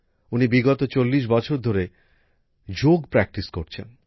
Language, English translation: Bengali, She has been practicing yoga for the last 40 years